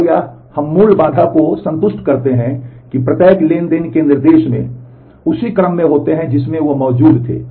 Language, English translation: Hindi, And we satisfy the basic constraint that the instructions of every transaction occur in the same order in which they existed